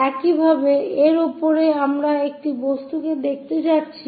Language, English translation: Bengali, Similarly, on top of that we are going to see this object